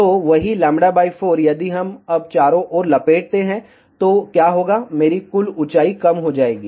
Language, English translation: Hindi, So, the same lambda by 4, if we now wrap around, so what will happen, my total height will be reduced